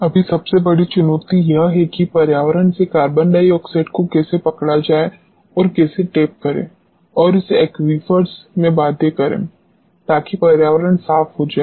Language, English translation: Hindi, Right now, the biggest challenge is how do capture the carbon dioxide from the environment and you know tap it and force it into the aquifers so, that environment becomes clean